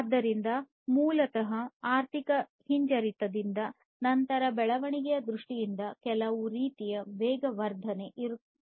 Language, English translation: Kannada, So, basically from the recession, then there will be some kind of acceleration in terms of the growth